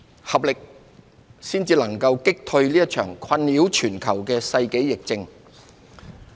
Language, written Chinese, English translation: Cantonese, 合力，才能有效擊退這場困擾全球的世紀疫症。, Only with concerted efforts can we successfully beat this pandemic of the century that has plagued the entire world